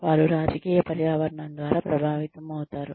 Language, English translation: Telugu, They are influenced by the political environment